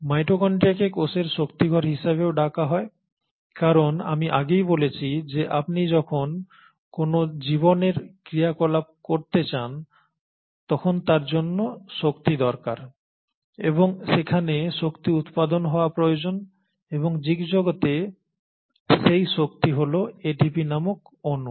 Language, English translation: Bengali, Now mitochondria is also called as the powerhouse of the cell because as I mentioned earlier also that when you want to do any life activity, the life activity requires energy and there has to be production of energy and that energy or the currency in case of a living world is this molecule called ATP